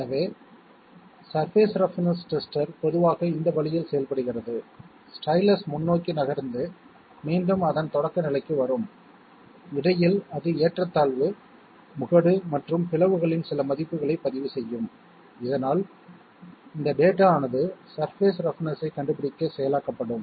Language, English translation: Tamil, So surface roughness tester generally work this way, this stylus will move forward and then again come back to its starting position and in between it will record some values of ups and downs crest and crevices so that this data will be processed to find out roughness of the surface